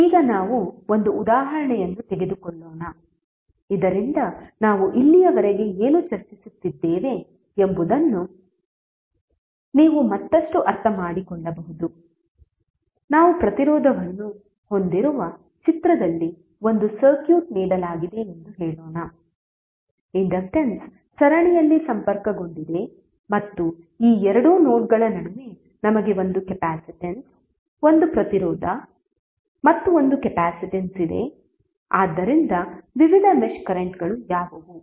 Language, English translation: Kannada, Now let us take one example so that you can further understand what we discus till now, let us say that we have a circuit given in the figure where we have resistance, inductance are connected in series and we have one capacitance, one resistance and one capacitance here between this two nodes, so what are various mesh currents